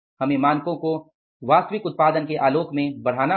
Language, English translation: Hindi, We have to upscale the standards in the light of actual output